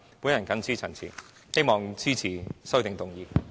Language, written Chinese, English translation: Cantonese, 我謹此陳辭，希望大家支持我的修正案。, With these remarks I ask Members to support my amendment